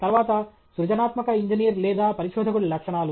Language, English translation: Telugu, Then the traits of a creative engineer or researcher